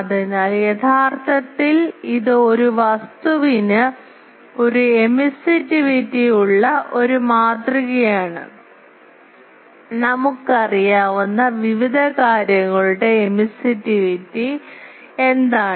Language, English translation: Malayalam, So, actually it is a model that a any object it has an emissivity, so what is the emissivity of various things that we know